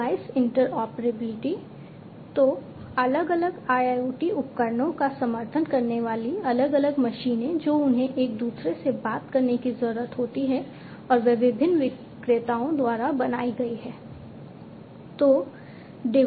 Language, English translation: Hindi, So, different machines supporting different IoT devices etc they need to talk to each other all right and they have been made by different vendors